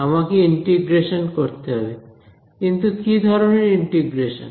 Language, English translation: Bengali, I need to integrate that is right, but what kind of integration